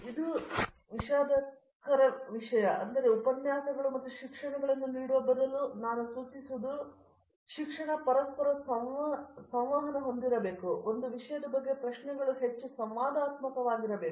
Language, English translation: Kannada, So, this is a very big ballot So, what I suggest is instead of giving lectures and courses, courses should be interactive, more interactive as a matter about questions can be on both sides